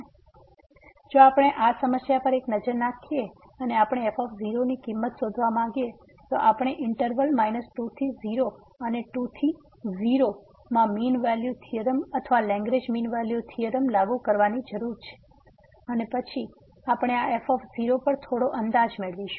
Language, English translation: Gujarati, So, if we take a look at this problem and we want to find the value of , so, we need to apply the mean value theorem or Lagrange mean value theorem in the interval minus 2 to and to and then we will get some estimate on this